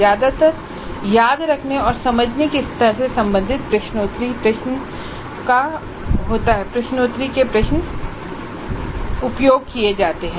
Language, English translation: Hindi, Most of the times the quiz questions belonging to remember or understand level are used